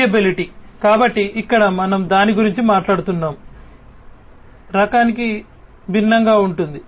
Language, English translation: Telugu, Variability, so here we are talking about it is different from variety